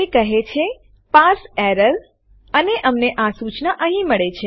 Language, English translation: Gujarati, It says Parse error and we get this message here